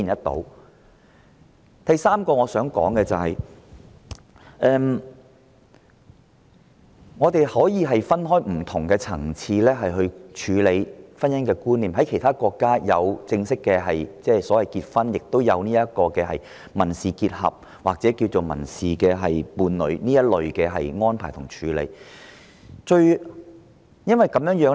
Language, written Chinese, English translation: Cantonese, 第三，我們可分開不同層次處理婚姻觀念，其他國家除正式的婚姻結合之外，也有民事結合或民事伴侶之類的安排和處理。, Thirdly we can deal with the concept of marriage at various levels . In some countries apart from entering into marriage in a formal manner other arrangements and systems such as civil union or civil partnership are also available